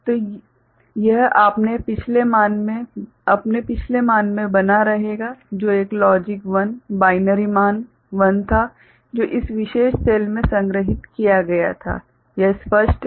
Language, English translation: Hindi, So, it will continue to remain in its previous value which was a logic 1 a binary value 1 that was stored in this particular cell ok, is it clear right